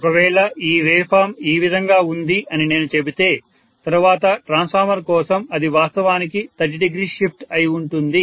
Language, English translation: Telugu, So if I say that this wave form is like this for the next transformer it will be actually 30 degree shifted